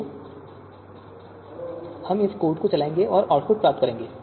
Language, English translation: Hindi, So we will if you run this code, we will get this output